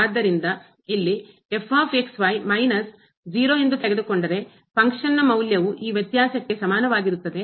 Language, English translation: Kannada, So, here minus this 0, the function value is equal to this difference